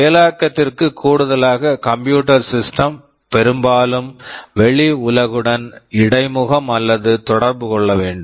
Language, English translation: Tamil, In addition to processing, the computer system often needs to interface or communicate with the outside world